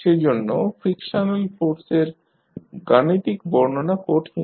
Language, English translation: Bengali, Therefore, the exact mathematical description of the frictional force is difficult